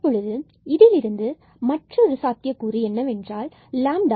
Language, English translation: Tamil, Now, from here we have another possibility is that we get lambda is equal to 1